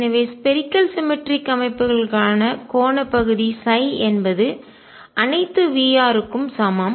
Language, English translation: Tamil, So, angular part of psi for spherically symmetric systems is the same for all V r